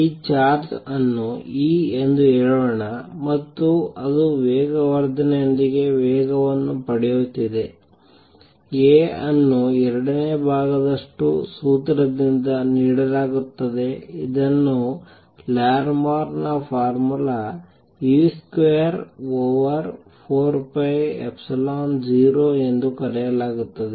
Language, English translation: Kannada, Let us say this charge is e and it is accelerating with the acceleration a, a is given by the formula 2 thirds which is known as Larmor’s formula e square over 4 pi epsilon 0 a square over C cubed where a is the acceleration